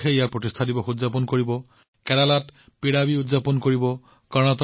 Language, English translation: Assamese, Andhra Pradesh will celebrate its foundation day; Kerala Piravi will be celebrated